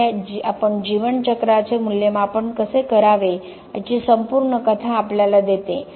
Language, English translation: Marathi, So, this gives the whole picture of how life cycle assessment should be done